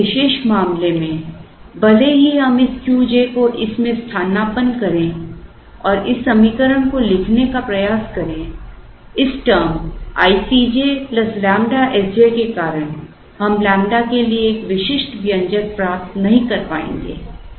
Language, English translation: Hindi, Now, in this particular case we, even if we substitute this Q j into this and try to write this equation, we will not be able to get a unique expression for lambda because of this term i C j plus lambda S j that comes in